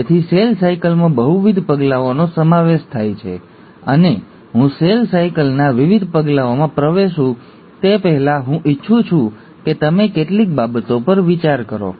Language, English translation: Gujarati, So cell cycle consists of multiple steps and before I get into the different steps of cell cycle, I just want you to ponder over a few things